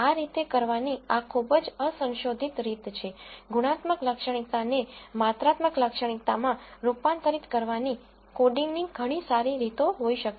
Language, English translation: Gujarati, This is very crude way of doing this, there might be much better ways of coding qualitative features into quantitative features and so on